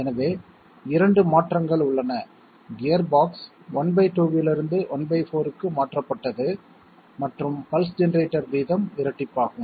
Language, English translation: Tamil, So there are 2 changes, gearbox is changed from half to one fourth and pulse generator rate is doubled and the choice our